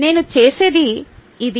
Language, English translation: Telugu, this is what i do